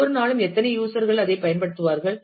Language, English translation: Tamil, How many users will use that every day and so on